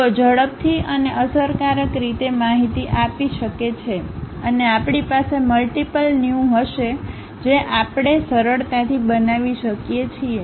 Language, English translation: Gujarati, They can be quickly and efficiently convey information and we will have multiple views also we can easily construct